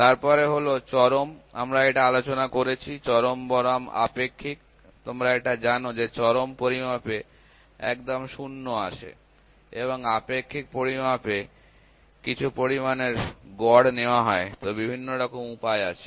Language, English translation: Bengali, So, then is absolute we have discussed this, absolute versus relative; this you know the absolute in absolute measurement we have an exact 0 and in relative measurement the ratio of some quantity is taken; so, there various other ways